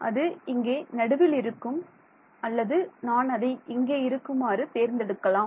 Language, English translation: Tamil, It can it will at the middle over here or I can also choose it over here that is not the matter ok